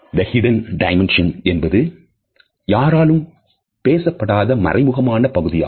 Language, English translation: Tamil, The Hidden Dimension is in fact, the dimension which is never talked about specifically by anybody